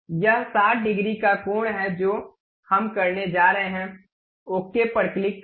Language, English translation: Hindi, It is 60 degrees angle we are going to have, click ok